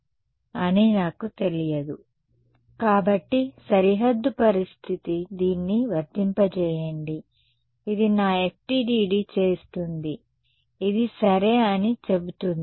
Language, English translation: Telugu, So, the boundary condition is going to say that apply this, this is what my FDTD will do, it will say ok